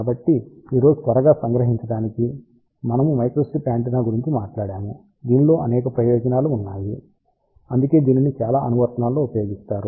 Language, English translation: Telugu, So, just to quickly summarize today we talked about microstrip antenna which has several advantages that is why it finds lot of applications